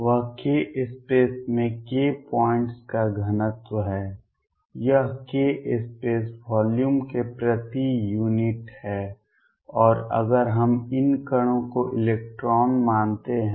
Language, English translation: Hindi, That is the density of k points in k space this is per unit of k space volume and if we take these particles to be electrons